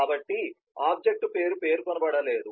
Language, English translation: Telugu, so the name of the object is not specified